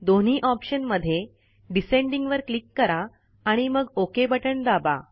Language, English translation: Marathi, Click on Descending in both the options near them and then click on the OK button